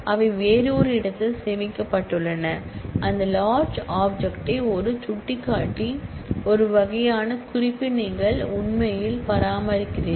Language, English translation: Tamil, They stored elsewhere and you actually maintain a kind of a reference a pointer to that large object